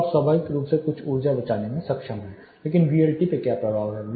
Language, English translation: Hindi, So, you are able to naturally save some energy there, but what is impact on VLT